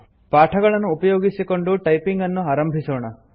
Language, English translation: Kannada, Let us practice to type using the lessons